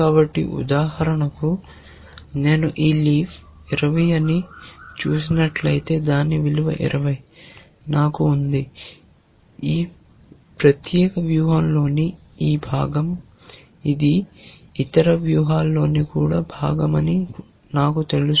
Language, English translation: Telugu, So, for example, if I have seen this leaf 20, its value is 20, I have, I know that this part of this particular strategy, it may be part of other strategies as well